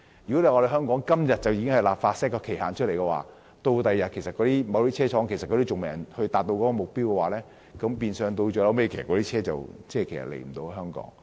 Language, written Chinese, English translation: Cantonese, 如果香港今天便立法設定期限，但某些汽車生產商屆時卻仍未達到目標的話，那麼汽車最終便無法輸到香港。, If Hong Kong hastens to enact legislation for a deadline today and if certain automobile manufacturers fail to meet the target by then no motor vehicles will be delivered to Hong Kong in the end